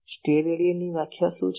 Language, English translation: Gujarati, What is the definition of Stedidian